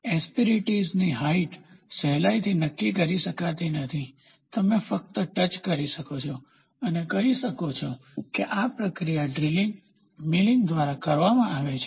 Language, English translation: Gujarati, The height of the asperities cannot be readily determined, you can only touch and say this process is done by drilling, milling